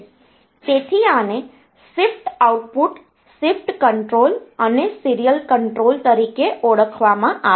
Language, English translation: Gujarati, So, this is known as the shift output, a shift control or serial control